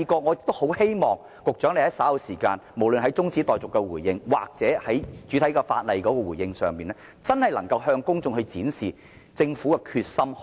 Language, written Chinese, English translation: Cantonese, 我很希望局長稍後就中止待續議案或擬議決議案作出回應時，能向公眾展示政府的決心。, I strongly hope that the Secretary will show the public the determination of the Government when responding to the adjournment motion or the proposed resolutions later on